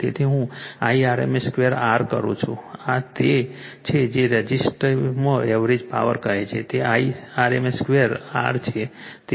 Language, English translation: Gujarati, So, Irms square into R this is that your what you call that average power in the resistor that is Irms square into R